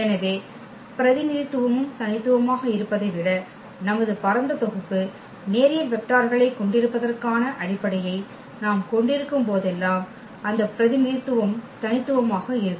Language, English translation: Tamil, So, that representation will be also unique whenever we have the basis our spanning set is having linearly independent vectors than the representation will be also unique